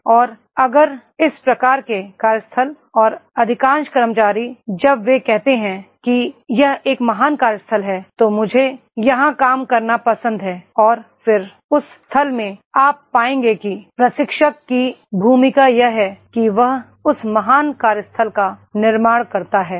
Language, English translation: Hindi, And if this type of the workplace and most of the employees, most of the employees when they say that this is a great workplace, I love to work here and then in that case you will find that is the trainer, trainer’s role is that he creates that great workplace